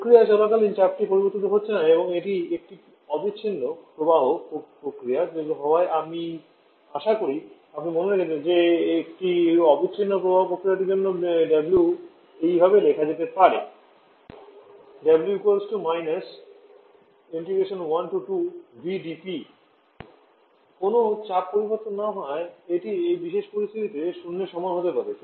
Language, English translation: Bengali, But as the pressure is not changing during the process and this being a steady flow process I hope you remember that for a steady flow process w can be written as integral minus v dP from state 1 to state 2 another is no pressure change this can be equal to zero in this particular situation